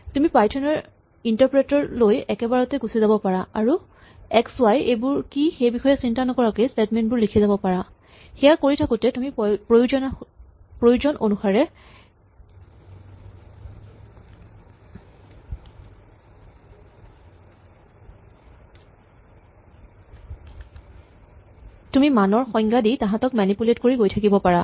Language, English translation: Assamese, You can jump into the Python interpreter for example, and keep writing statements without worrying about what x is and what y is, as you go along you can define values and manipulate them